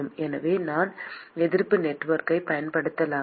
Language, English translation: Tamil, So, can I use the resistance network